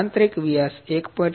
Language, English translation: Gujarati, 75 inside diameter 1